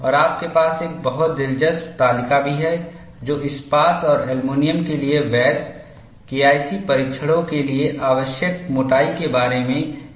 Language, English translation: Hindi, And you also have a very interesting table, which gives an idea about the thicknesses required for valid K 1 C tests for steel and aluminum